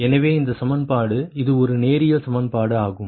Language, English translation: Tamil, so this equation, this is a linear, linear equation, right